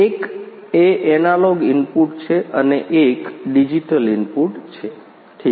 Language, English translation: Gujarati, One is the analog input and one is the digital inputs